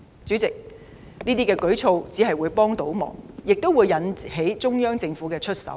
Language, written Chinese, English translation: Cantonese, 主席，這些舉措只會幫倒忙，令中央政府出手。, President such moves will only do a disservice prompting action by the Central Government